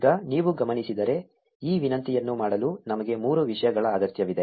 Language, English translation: Kannada, Now, if you notice, we need three things to make this request